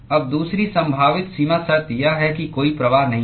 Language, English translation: Hindi, Now, the second possible boundary condition is that there is no flux